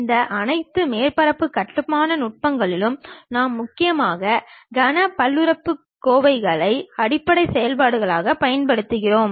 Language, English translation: Tamil, In all these surface construction techniques, we mainly use cubic polynomials as the basis functions